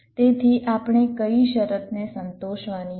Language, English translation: Gujarati, so what is the condition we have to satisfy